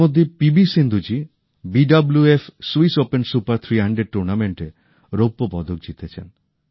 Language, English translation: Bengali, Meanwhile P V Sindhu ji has won the Silver Medal in the BWF Swiss Open Super 300 Tournament